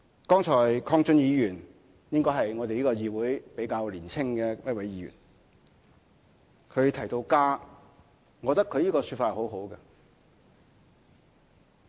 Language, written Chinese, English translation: Cantonese, 剛才鄺俊宇議員——他應該是我們這個議會中比較年輕的一位——提到家，我覺得他的說法很好。, Just now Mr KWONG Chun - yu who should be one of the younger Members of this Council mentioned home . I really like what he said